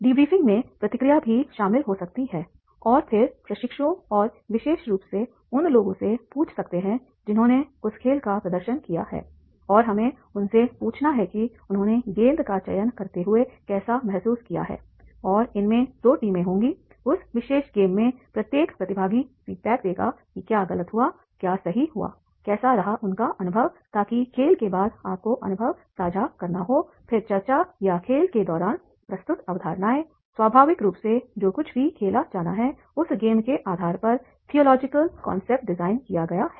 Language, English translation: Hindi, Debriefing can include the feedback also and then we can ask the trainees and especially those who have demonstrated that game and we have to ask them how they have felt and then like we are playing selecting the balls and then there will be two teams and then in that particular game the each participant will give the feedback that is the what went wrong what what went right, how is his experience